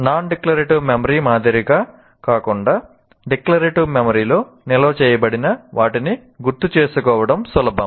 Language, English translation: Telugu, So, whereas unlike non declarative memory, the declarative memory, it is easy to recall the whatever that is stored in the declarative memory